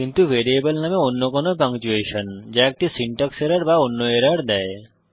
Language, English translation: Bengali, But any other punctuation in a variable name that give an syntax error or other errors